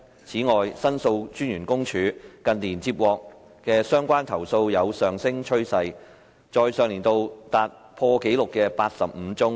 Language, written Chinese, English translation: Cantonese, 此外，申訴專員公署近年接獲的相關投訴有上升趨勢，在上年度達破紀錄的85宗。, Furthermore related complaints received by the Office of The Ombudsman have been on the rise in recent years with a record high of 85 complaint cases received last year